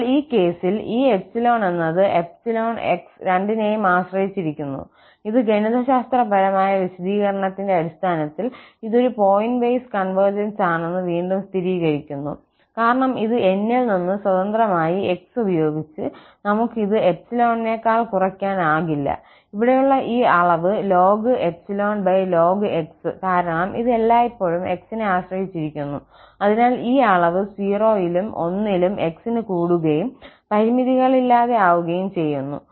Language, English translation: Malayalam, But in that case, this N is depending on epsilon and x both and that again confirms that it is a pointwise convergence according to the mathematical definition, because we cannot set this less than epsilon with this N free from x, this will always depend on x because of this quantity here ln over ln